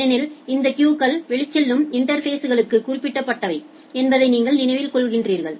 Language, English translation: Tamil, Because you remember that these queues are specific to outgoing interface